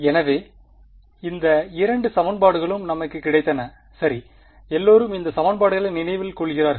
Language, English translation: Tamil, So, these were the two equations that we had got right, everyone remembers these equations